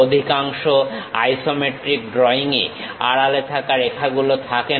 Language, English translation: Bengali, Most isometric drawings will not have hidden lines